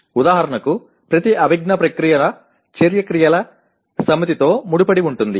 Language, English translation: Telugu, For example each one of the cognitive process is associated with a set of action verbs